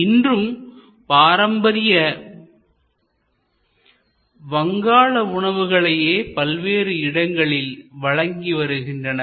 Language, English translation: Tamil, But, they remain focused on Bengali cuisine, but they are serving today many different locations